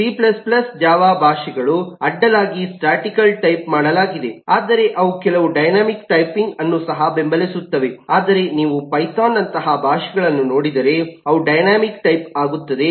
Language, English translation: Kannada, so c plus plus java, as a language, eh is crossly statically typed, but they also support some dynamic typing, whereas, eh, if you look at languages like python, they are only dynamically typed